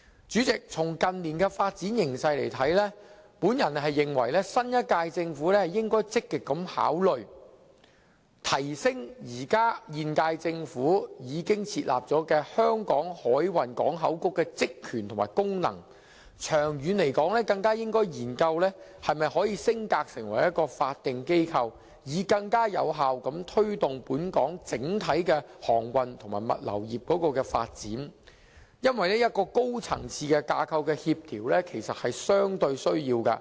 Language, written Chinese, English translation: Cantonese, 主席，從近年的發展形勢來看，我認為新一屆政府應該積極考慮提升現屆政府的香港海運港口局的職能，長遠更應該研究是否可以升格成為法定機構，以便更有效推動本港整體的航運和物流業發展，因為一個高層次架構的協調其實是有需要的。, President judging from the development trend in recent years I think the new Government should actively consider the idea of enhancing the powers and functions of the Hong Kong Maritime and Port Board MPB under the present Government . In the long run the new Government should even consider the possibility of upgrading MPB to a statutory organization with a view to fostering more effectively the overall development of Hong Kongs maritime and logistic industries . The reason why I say so is that coordination by a high - level framework is actually necessary